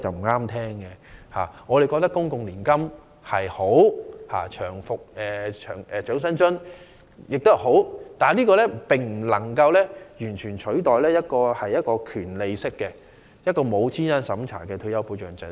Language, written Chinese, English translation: Cantonese, 我們認為，公共年金及長者生活津貼皆是好的計劃，但兩者皆不能取代權利式的、沒有資產審查的退休保障制度。, We think that the public annuity scheme and the Old Age Living Allowance OALA are both desirable . But these two schemes are unable to replace a due retirement protection system without an asset test